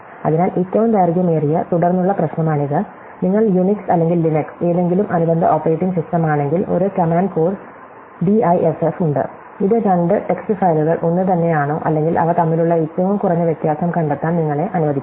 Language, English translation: Malayalam, So, that is the longest common subsequence problem, if you use UNIX or LINUX are any related operating system, there is a command code DIFF, which allows you to check with the two text files are the same or find the minimal difference between them